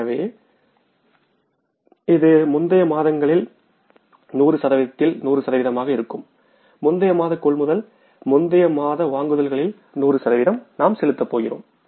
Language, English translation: Tamil, So in the month of January, how much we are going to pay for 100% of previous months, previous months purchases